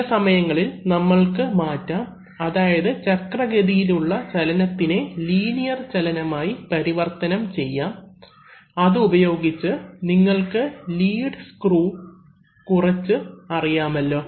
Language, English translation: Malayalam, Sometimes we can transfer, I mean we can convert rotational motion into linear motion using, you know things like lead screws